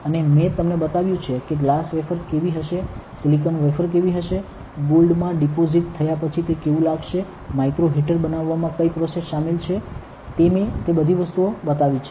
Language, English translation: Gujarati, And I have shown you like how a glass wafer will be, how a silicon wafer will be, how it will look like after it is deposited with gold and what are the processes that is involved in making micro heaters, I have shown you all those things